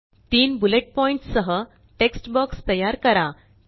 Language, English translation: Marathi, Create a text box with three bullet points